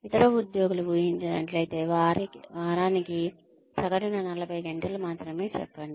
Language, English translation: Telugu, If the other employees are expected, only to put in, say, on an average, about 40 hours a week